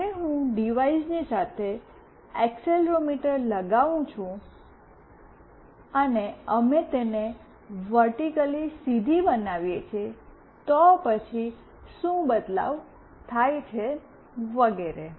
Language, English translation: Gujarati, When I put accelerometer along with a device, and we make it vertically straight, then what changes happen, and so on